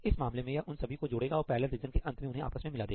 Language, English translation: Hindi, In this case it will add them up and combine them at the end of the parallel region